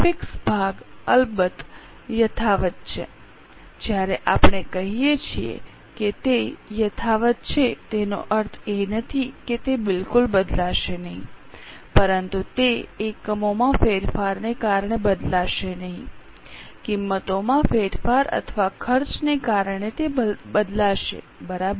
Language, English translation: Gujarati, Of course when we say unchanged it does not mean it will not change at all but it will not change because of changing units, it will change because of change in prices or costs